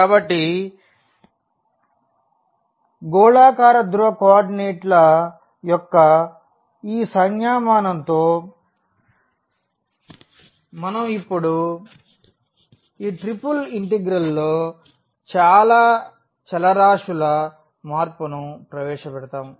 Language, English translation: Telugu, So, with this notation of the spherical polar coordinates we will now introduce the change of variables in triple integral